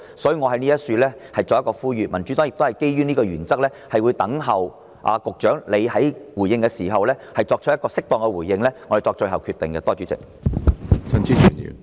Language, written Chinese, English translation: Cantonese, 所以，我在此作出呼籲，而民主黨也會基於上述原則，待局長作出回應後才決定是否支持中止待續議案。, Therefore I hereby make an appeal . And the Democratic Party on the basis of the aforementioned principle will decide whether or not to support the adjournment motion after the Secretary has given his reply